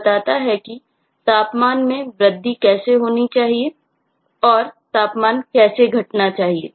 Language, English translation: Hindi, that is how the temperature should increase, how should it decrease, and so on